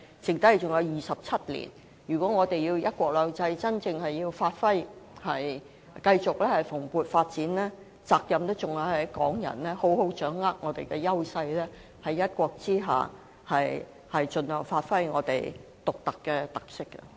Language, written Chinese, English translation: Cantonese, 在未來的30年，如果我們想"一國兩制"真正發揮，繼續蓬勃發展，責任在於港人須好好掌握我們的優勢，在"一國"下盡量發揮我們獨有的特色。, In the coming 30 years if we want one country two systems to be truly realized and continue to thrive it is our responsibility as Hong Kong people to properly grasp our advantages and give full play to our unique characteristics under one country